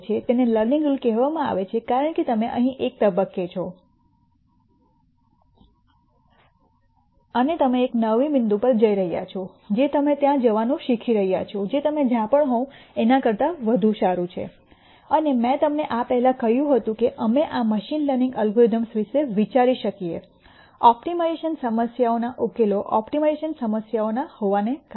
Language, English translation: Gujarati, It is called the learning rule because you are at a point here and you are going to a new point you are learning to go to a point which is better than wherever you are and I mentioned to you before that we could think of this machine learning algorithms as being optimization problems solutions to optimization problems